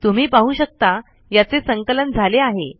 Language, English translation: Marathi, You can see it is compiling